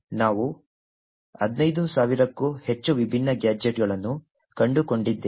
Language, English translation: Kannada, We find over 15000 different gadgets